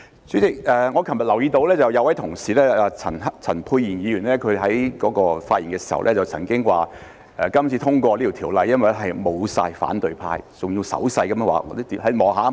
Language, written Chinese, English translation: Cantonese, 主席，我昨日留意到有一位同事陳沛然議員發言時曾經說，今次通過那項條例草案是因為沒有反對派，他還要用手勢表示："看看，全都沒有了。, President it came to my notice yesterday that one of our colleagues Dr Pierre CHAN mentioned in his speech that the Bill was passed this time around because the opposition camp was absent . He even made a gesture when speaking See all are gone